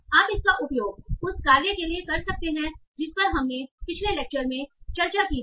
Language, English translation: Hindi, So you can use it for the task that we discussed in the last lecture also